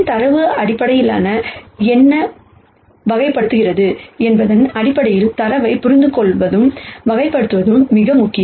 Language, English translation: Tamil, It is very important to understand and characterize the data in terms of what fundamentally characterizes the data